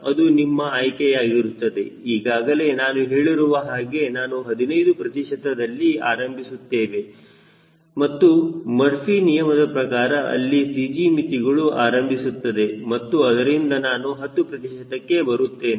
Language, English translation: Kannada, as i repeatedly say, i start with fifteen percent and i know that by murphy law there will be c g limitation will come and i will approach towards ten percent